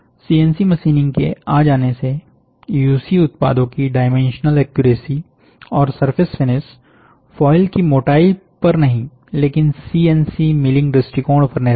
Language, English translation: Hindi, By the introduction of CNC machining, the dimensional accuracy and the surface finish of UC end products is not dependent on the foil thickness, but on the a CNC milling approach